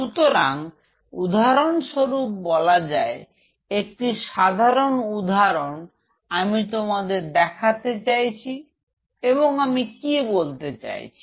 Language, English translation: Bengali, So, say for example, one simple example let me give you, what I mean by that